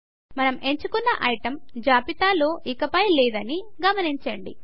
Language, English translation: Telugu, We see that the item we chose is no longer on the list